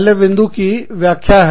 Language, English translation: Hindi, The first point, is the explanation